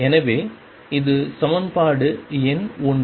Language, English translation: Tamil, So, that is equation number 1